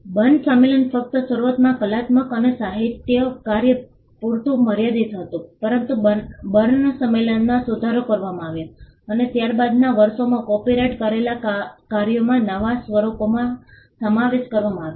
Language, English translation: Gujarati, The Berne convention just limited to artistic and literary work initially, but the Berne convention was amended, and new forms of copyrighted works were included in the subsequent years